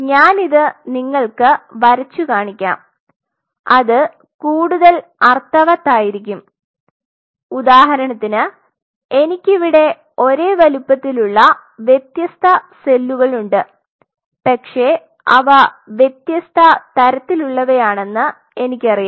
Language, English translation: Malayalam, Let me draw it that will make more sense say for example, I have these different cells same size you know I, but they are of different types I know that